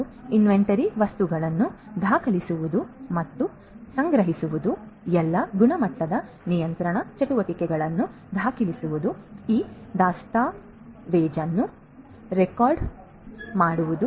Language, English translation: Kannada, And documenting and archiving inventory material and recording all the quality control activities, this documentation recording archiving and so on